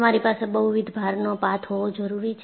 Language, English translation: Gujarati, You need to have multiple load path